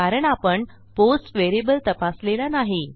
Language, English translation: Marathi, Thats because were not checking for our post variable